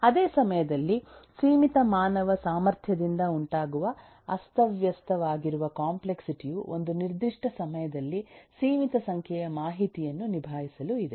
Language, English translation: Kannada, at the same time, there is a quite a bit of disorganized complexity arising out of the limited human capacity to handle eh, a limited number of eh information chance at a given point of time